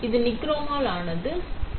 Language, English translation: Tamil, That is made of nichrome ok